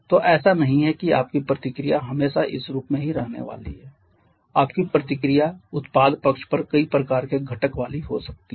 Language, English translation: Hindi, So, it is not that your reaction is always going to be of this form same your reaction can have several kind of constituents on the product side